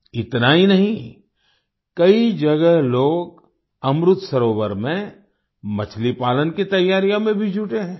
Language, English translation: Hindi, Not only this, people at many places are also engaged in preparations for fish farming in Amrit Sarovars